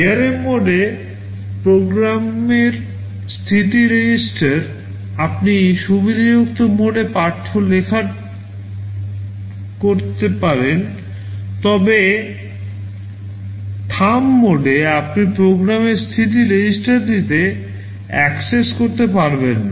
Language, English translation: Bengali, Program status register in ARM mode, you can do read write in privileged mode, but in Thumb mode you cannot access program status register